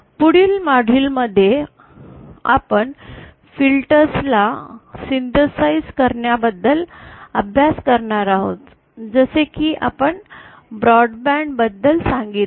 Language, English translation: Marathi, So in the next module we will be studying about synthesizing filters as we said that the broad band filters